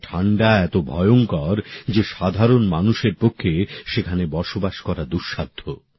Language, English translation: Bengali, The cold there is so terrible that it is beyond capacity of a common person to live there